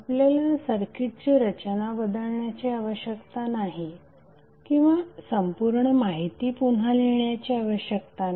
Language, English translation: Marathi, So you need not to rearrange the circuit or you need not to reprocess the complete information again and again